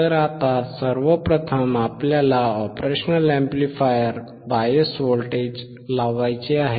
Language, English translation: Marathi, So now, first thing that we have to do is to apply the bias voltage to the operation amplifier